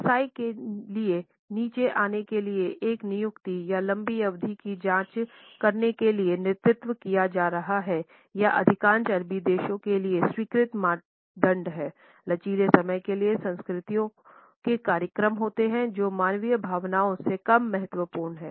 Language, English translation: Hindi, Being led to an appointment or checking a long term to get down to business is the accepted norm for most Arabic countries; for flexible time cultures schedules are less important than human feelings